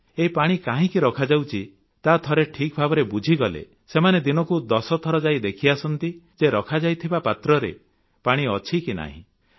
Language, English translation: Odia, Once they understand why they should fill the pots with water they would go and inspect 10 times in a day to ensure there is water in the tray